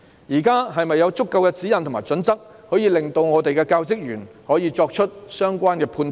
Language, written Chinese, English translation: Cantonese, 現時是否有足夠指引或準則，可以令教職員作出相關判斷？, Now are there enough guidelines or criteria which enable the teaching staff to make the relevant judgment?